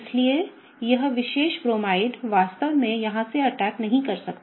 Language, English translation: Hindi, So, this particular Bromide cannot really attack from here